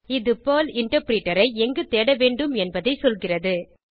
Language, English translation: Tamil, It tells where to find the Perl Interpreter